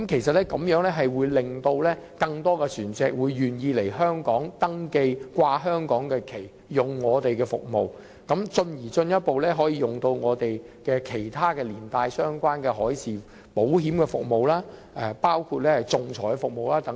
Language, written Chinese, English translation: Cantonese, 這會令更多船隻願意來香港登記，懸掛香港旗幟，使用我們的服務，繼而進一步使用其他相關的服務，例如海事保險、仲裁等。, More vessels would then be incentivized to register in Hong Kong fly the flag of Hong Kong and use our services as well as other related services in such aspects as maritime insurance arbitration and so on